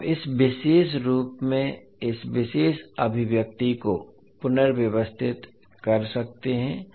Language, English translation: Hindi, So you can rearrange the this particular expression in this particular form